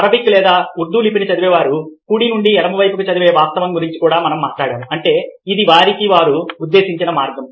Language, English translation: Telugu, we also talked about the fact that the ah people who read, lets say, arabic or urdu script, read from left to the ah, from ah right from to left